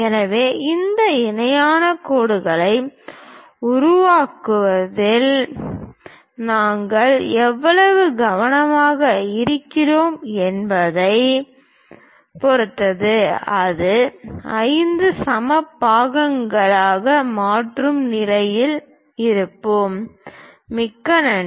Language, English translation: Tamil, So, it depends on how careful you are in terms of constructing these parallel lines; we will be in a position to make it into 5 equal parts